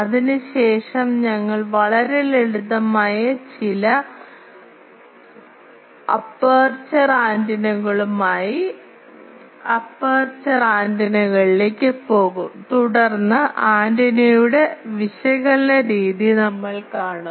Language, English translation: Malayalam, After that we will go to aperture antennas with some of the very simple aperture antennas, and then we will see the general method of analysis of antenna, ok